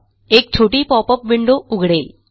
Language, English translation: Marathi, This opens a small popup window